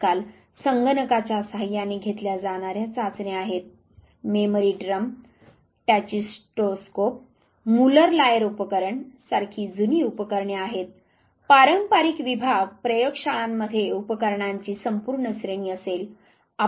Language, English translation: Marathi, Nowadays computer assisted tests are there, there are old models know memory drum, tachistoscope, Muller Lyer apparatus; traditional department laboratories would have whole range of apparatus there